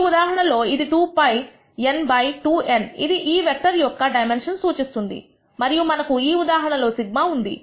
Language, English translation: Telugu, In this case it will be 2 pi n by 2 n represents number of dimension of this vector and we had sigma in this case